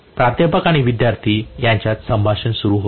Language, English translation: Marathi, Conversation between professor and students starts